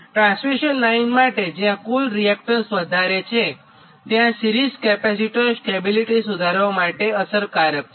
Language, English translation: Gujarati, right, for the transmission line, where the total reactance is high, series capacitors are effective for improvement of the stability for a transmission system